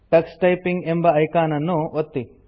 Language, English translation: Kannada, Click the Tux Typing icon